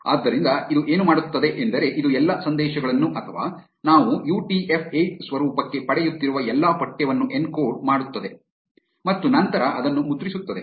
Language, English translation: Kannada, So, what this will do is, this will encode all the messages or all the text that we are getting into UTF 8 format and then print it